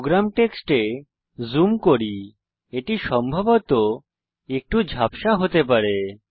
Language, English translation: Bengali, Let me zoom into the program text it may possibly be a little blurred